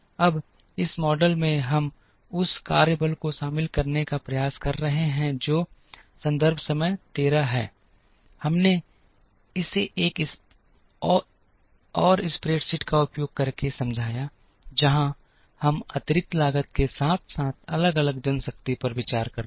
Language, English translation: Hindi, Now, in this model we are trying to include the workforce that is we explained this using another spreadsheet, where we consider additional costs as well as varying manpower